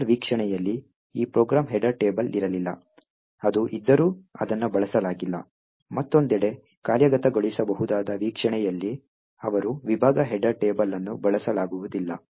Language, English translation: Kannada, While in the linker view this program header table was not, although it was present, it was not used, while in the executable view on the other hand, they section header table is not used